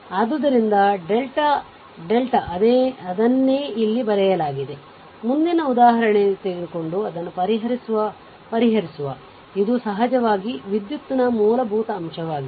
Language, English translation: Kannada, So, this is your delta, same thing is written here, next we will take the example we will solve it is a it is a basic fundamentals of electrical in course